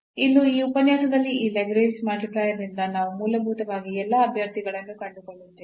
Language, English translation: Kannada, So, here in this lecture today or by this Lagrange multiplier we basically find all the candidates